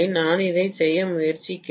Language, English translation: Tamil, That is the reason why I am trying to do this